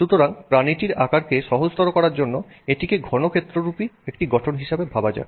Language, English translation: Bengali, So, let's assume that let's simplify the animal to some kind of a cuboid structure